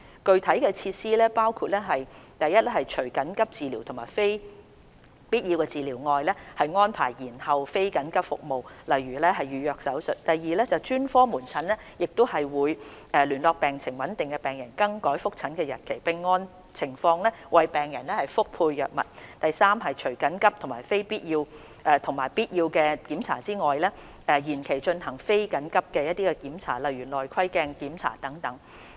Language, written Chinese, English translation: Cantonese, 具體措施包括： 1除緊急治療及必要治療外，安排延後非緊急服務，例如預約手術； 2專科門診會聯絡病情穩定的病人更改覆診日期，並按情況為病人覆配藥物；及3除緊急及必要檢查外，延期進行非緊急的檢查，如例行內窺鏡檢查等。, Specific measures include 1 except for emergency and essential treatment non - emergency services such as elective surgeries will be postponed; 2 specialist outpatient clinics will contact patients with stable conditions to reschedule their appointments and arrange drug refills for them according to their conditions; and 3 except for emergency and essential examinations non - emergency examinations such as routine endoscopy will be rescheduled